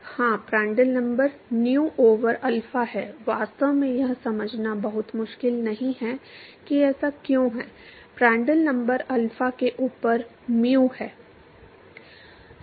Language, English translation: Hindi, Yes Prandtl number is nu over alpha, it is actually not very difficult to understand why thats the case, Prandtrl number is mu over alpha